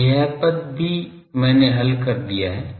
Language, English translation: Hindi, So, this term also I have solved